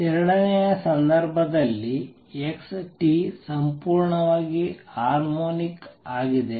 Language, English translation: Kannada, In the second case x t is purely harmonics